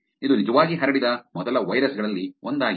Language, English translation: Kannada, It was one of the first virus that was actually spread